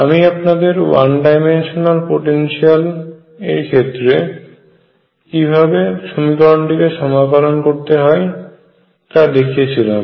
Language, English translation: Bengali, I have told you how to integrate the equation in the case of one dimensional potential